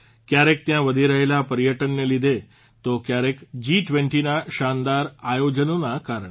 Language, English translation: Gujarati, Sometimes due to rising tourism, at times due to the spectacular events of G20